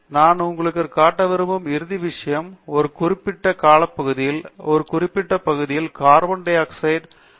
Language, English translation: Tamil, The final thing that I want to show you is another series, which is the carbon dioxide emissions in a certain region, during a certain period